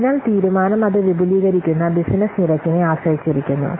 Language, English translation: Malayalam, So the decision depends on the rate at which its business it expands